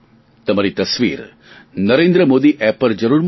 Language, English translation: Gujarati, Do send a picture of it on 'Narendra Modi app